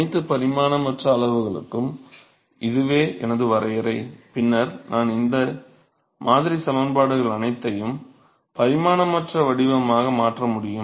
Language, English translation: Tamil, So, that is my definition of all the dimensionless quantities, then I can convert all these model equations into the dimensionless form and